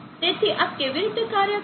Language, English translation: Gujarati, So how does this operate